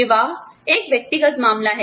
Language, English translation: Hindi, Marriage is a personal matter